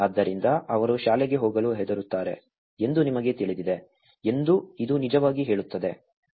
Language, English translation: Kannada, So, this actually says that you know they are afraid to go to school